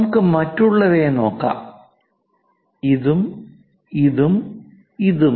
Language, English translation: Malayalam, Let us look at other ones, this to this and this to this